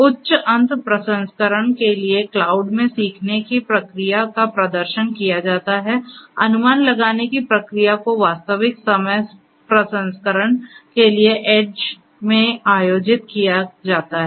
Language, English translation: Hindi, The learning process is performed in the cloud for high end processing whereas; the inferencing process is conducted in the edge for real time processing